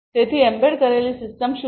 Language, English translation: Gujarati, So, what is an embedded system